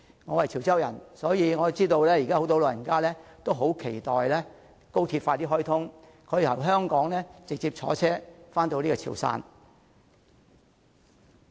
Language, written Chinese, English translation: Cantonese, 我是潮州人，所以我知道現時有很多長者也很期待高鐵盡快開通，可以由香港直接乘車前往潮汕。, I come from Chiu Chow and I know that many elderly people are looking forward to the commissioning of XRL so that they can travel directly to the Chiu Chow - Swatow region by train